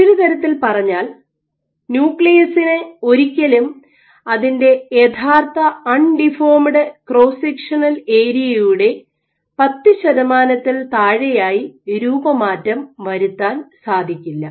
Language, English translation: Malayalam, So, in other words and nucleus cannot be deformed to below 10 percent of its original undeformed cross sectional area